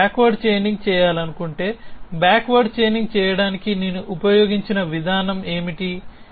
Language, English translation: Telugu, If I want to do backward chaining what is the mechanism that I have been used to do backward chaining